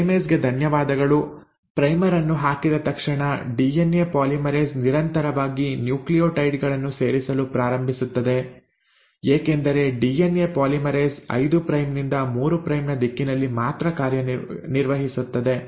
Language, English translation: Kannada, As soon as the primer has been put in, thanks to the primase you find that the DNA polymerase continuously starts adding the nucleotides because DNA polymerase works only in the direction of a 5 prime to 3 prime direction